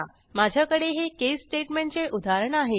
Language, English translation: Marathi, I have declared an case statement in this example